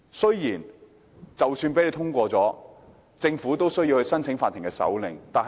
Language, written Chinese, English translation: Cantonese, 即使修正案獲得通過，政府亦須向法庭申請手令。, Even if the amendment is passed the Government will still be required to apply for a search warrant from the court